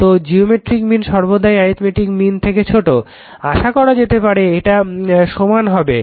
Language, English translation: Bengali, So, geometric mean is less than the arithmetic mean except they are equal